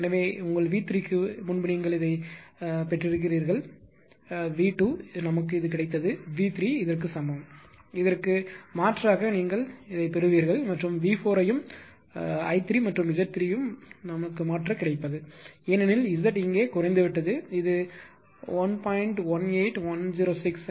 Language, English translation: Tamil, So, same as before first your ah V 3 you got this one, V 2 we got this one, V 3 is equal to this one, you substitute you will get this one right and V 4 also you just substitute I 3 and Z 3 right, because Z here is decrease it is 1